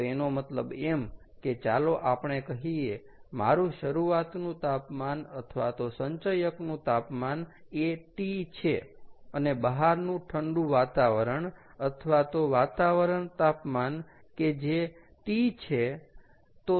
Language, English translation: Gujarati, clear so, which means, let us say, my initial temperature or the temperature of the accumulator is t and the outside have a cooler ambient which is t ambient